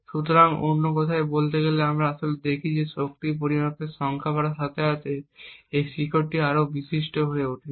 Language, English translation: Bengali, So, speaking in another words what we actually see is that as the number of power measurements increases, this peak becomes more and more prominent